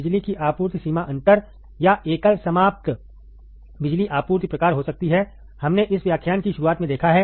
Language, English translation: Hindi, Power supply range may be the differential or single ended power supply kind, we have seen in the starting of this lecture